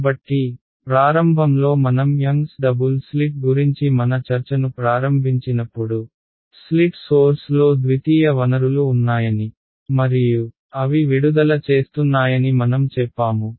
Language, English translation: Telugu, So, in the very beginning when we started our discussion of this young’s double slit in our we said that there are the secondary sources at the corners of the slit and they are emitting